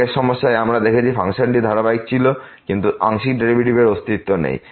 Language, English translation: Bengali, In the earlier problem, we have seen the function was continuous, but the partial derivatives do not exist